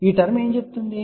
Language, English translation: Telugu, What this term says